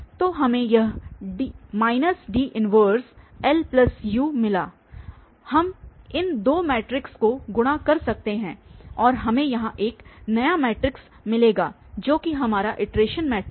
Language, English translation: Hindi, So, we got this minus D inverse and this L plus U we can multiply these two matrices and we will get a new matrix here which is our iteration matrix